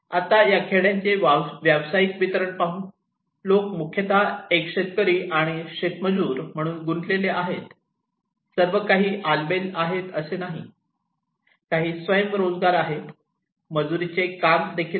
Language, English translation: Marathi, Now, occupational distribution of villages; they are mostly involved as a cultivator and agricultural labour, some are self employed, wage labourer are also there